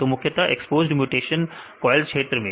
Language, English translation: Hindi, So, the mainly the exposed mutation, in the coil region